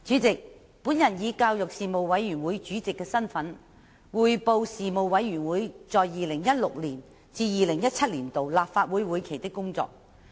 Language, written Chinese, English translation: Cantonese, 主席，我以教育事務委員會主席的身份，匯報事務委員會在 2016-2017 年度立法會會期的工作。, President in my capacity as Chairman of the Panel on Education the Panel I report the work of the Panel for the session 2016 - 2017 of the Legislative Council